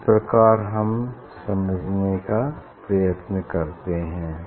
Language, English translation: Hindi, this way we try to understand